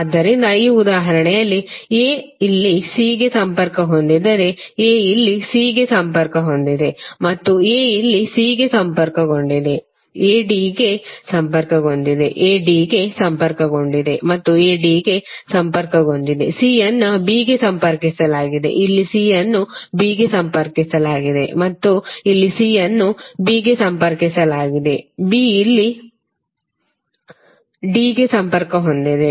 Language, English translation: Kannada, So in this example if a is connected to c here, a is connected to c here and a is connected to c here, a is connected to d, a is connected to d and a is connected to d, c is connected to b, here c is connected to b and here also c is connected to b, b is connected to d here, b is connected to d here and b is connected to d here